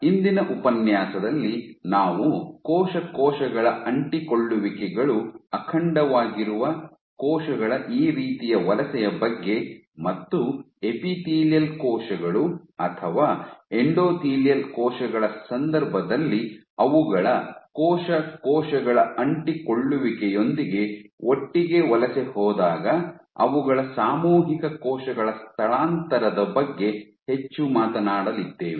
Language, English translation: Kannada, So, in today’s lecture we will talk more about this kind of migration of cell where cell cell adhesions are intact their collective cell migration in the case of epithelial cells or endothelial cells which migrated together with their cell cell adhesion intact